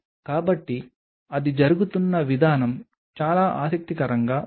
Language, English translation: Telugu, So, the way it is being done is very interesting